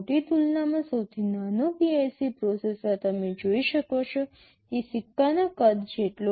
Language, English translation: Gujarati, In comparison the smallest PIC processor is a fraction of the size of a coin as you can see